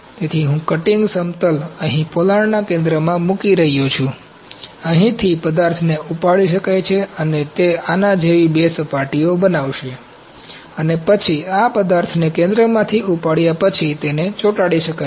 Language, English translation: Gujarati, So, I am putting the cutting plane here, at the center of the cavity, from here material can be taken off, sheets can be taken off and it will make two faces like this, and then, this can be glued after material this material is taken off from this center